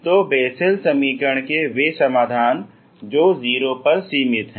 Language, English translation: Hindi, So those solution of Bessel equation which are bounded at 0